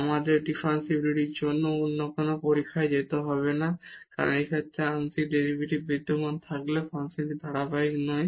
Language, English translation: Bengali, We do not have to go for any other test for differentiability because the function is not continuous though the partial derivatives exist in this case